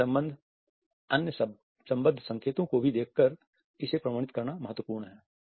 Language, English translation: Hindi, It is important to authenticate it by looking at other associated signals also